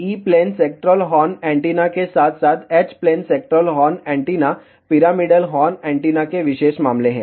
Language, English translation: Hindi, As E plane sectoral horn antenna as well as H plane sectoral horn antennas are special cases of pyramidal horn antenna